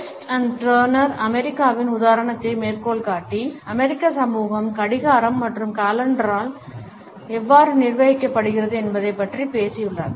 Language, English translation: Tamil, A West and Turner have quoted the example of the USA and have talked about how the American society is being governed by the clock and calendar